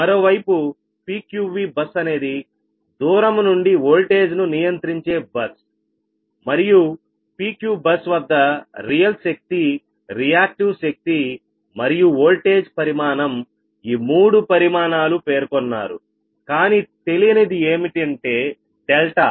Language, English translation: Telugu, so, on the other hand, in the pq v bus is a remotely voltage control bus right whose real power, reactive power and voltage magnitude, all three quantities, are specified at pqv bus but delta is unknown at pqv bus, right